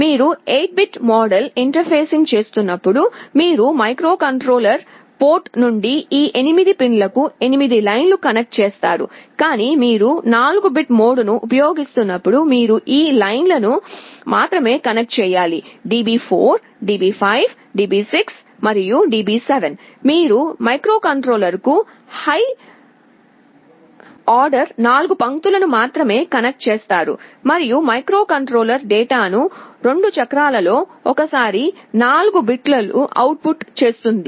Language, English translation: Telugu, When you are interfacing in the 8 bit mode, you will be connecting 8 lines from the microcontroller port to these 8 pins, but when you are using the 4 bit mode then you need to connect only 4 of these lines D4, DB5, DB6 and DB7, you only connect the high order 4 lines to the microcontroller; and as I said the microcontroller will be outputting the data in 2 cycles, 4 bits at a time